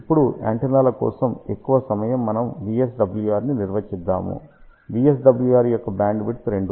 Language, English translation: Telugu, Now, majority of the time for antennas, we define VSWR bandwidth for VSWR less than or equal to 2